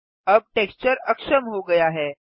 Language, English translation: Hindi, Now the texture is disabled